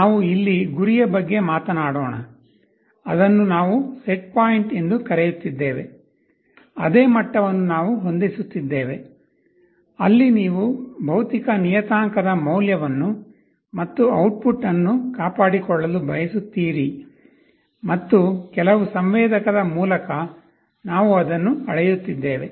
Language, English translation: Kannada, Let us talk about the goal here, we are calling it setpoint … same thing we are setting a level, where you want to maintain the value of a physical parameter to and the output through some sensor we are measuring it